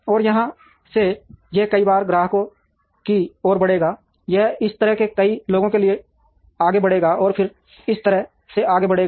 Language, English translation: Hindi, And from here it will move towards several external customers, it will move this way to many people who are here, and then it will move this way to that